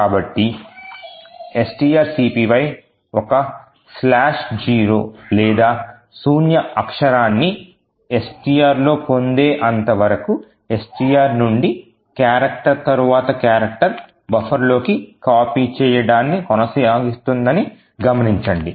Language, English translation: Telugu, So, note that string copy will continue to execute copying character by character from STR into buffer until a slash zero or a null character is obtained in STR